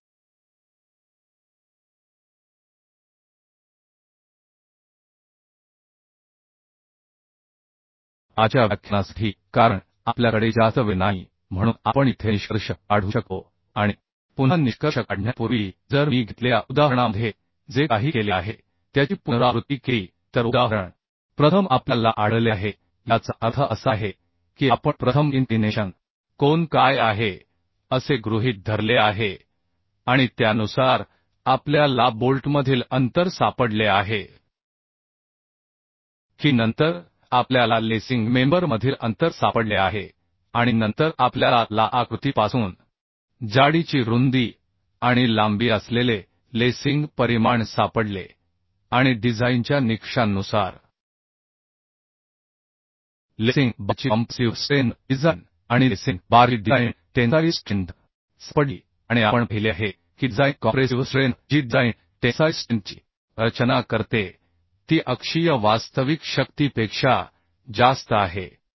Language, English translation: Marathi, 67 so hence safe right So this is how we can find out right So for todays lecture as we do not have much time so we can conclude here and before concluding again if I repeat the steps whatever we have done in the workout example is first we have found means we have assumed first what is the angle of inclination and according to that we have found the distance between bolt that a then we have found the spacing between the lacing member then we found the lacing dimension that is thickness width and length from the geometry and from the design criteria then we found the compressive strength design compressive strength of the lacing bar and design tensile strength of the lacing bar and we have seen that the design compressive strength and design tensile strength is more than the actual force coming on the axial force coming on the lacing bar Now the lacing bar we will means if one lacing bar is in compression another lacing bar will be in tension So for both the cases the magnitude of the force will be same that means for compressive force and tensile force will be same for the same lacing bar And this is what we have checked and also we have checked the minimum slenderness ratio means the which is means the slenderness ratio of the column member means it is less than the permissible slenderness ratio Also we have checked the slenderness ratio of the lacing member is under the permissible limit of the lacing member permissible limit of the slenderness ratio So these are the checks we have done next what we will do we will go for connections details right okay